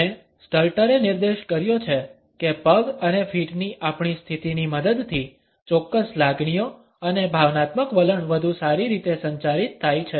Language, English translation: Gujarati, And Stalter has pointed out that certain feelings and emotional attitudes are better communicated with the help of our positioning of legs and feet